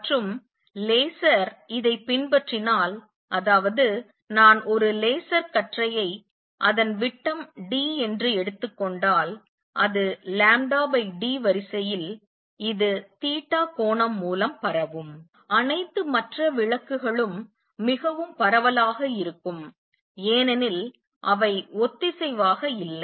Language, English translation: Tamil, And laser follows this that means if I take a laser beam which is of diameter d, it will spread by angle theta which is of the order of lambda by d, all other lights spread much more because they are not coherent